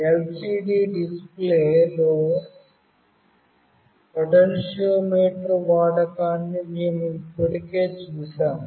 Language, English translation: Telugu, We have already seen the use of potentiometer in LCD display